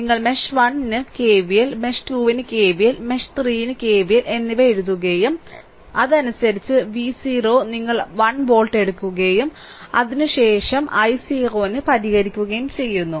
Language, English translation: Malayalam, So, you write down K V L for mesh 1 K V L for mesh 2 and K V L for mesh 3 and accordingly and V 0 is equal to you take 1 volt and after that, you will solve for i 0 right